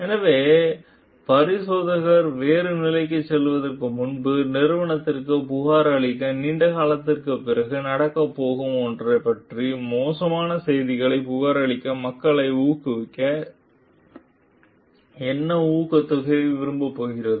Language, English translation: Tamil, So, what incentive is going to like encourage people to report bad news about something that is going to happen long after the complaining in the company, before the examiner has moved to other position